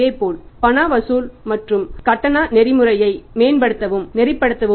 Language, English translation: Tamil, Similarly to improve and streamline the cash collection and the payment mechanism